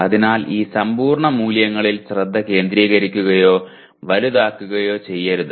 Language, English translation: Malayalam, So please do not focus on or making these absolute values large